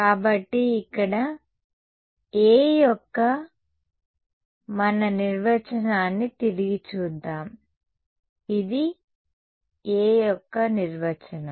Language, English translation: Telugu, So, let us look back at our definition of A over here right, this is a definition of A